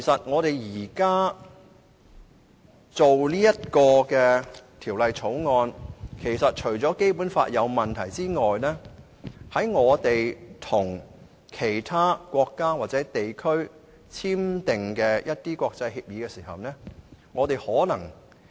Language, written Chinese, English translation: Cantonese, 我們現在審議《條例草案》，除了發現《基本法》有問題外，香港可能已經違反了與其他國家或地區簽訂的國際協議。, During our scrutiny of the Bill we found that the Basic Law is problematic . Furthermore Hong Kong might have violated the international agreements signed with other countries or regions